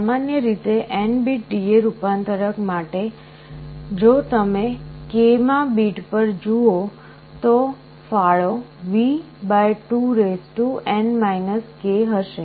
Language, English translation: Gujarati, So, for N bit D/A converter in general if you look at the k th bit, the contribution will be V / 2N k in general